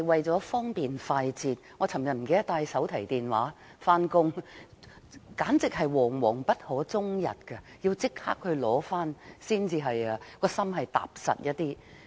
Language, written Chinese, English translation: Cantonese, 昨天，我忘了帶手提電話上班，簡直是惶惶不可終日，要立即取回內心才感到踏實。, I was literally on pins and needles yesterday when I forgot to bring my mobile phone when I went to work . I did not feel at ease until I immediately rushed back home to get it